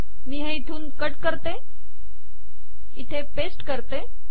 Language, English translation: Marathi, So let me paste it here